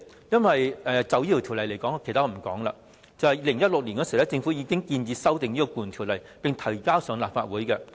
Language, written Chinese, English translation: Cantonese, 因為政府在2016年已經建議修訂《僱傭條例》，並將有關法案提交立法會。, That is because the Government proposed to amend the Ordinance and tabled a bill in the Legislative Council back in 2016